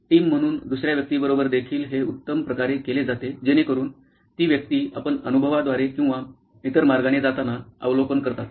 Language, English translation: Marathi, It is best done with another person also as a team so that that person does the observation you go through the experience or the other way round